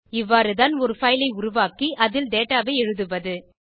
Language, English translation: Tamil, This is how we create a file and write data into it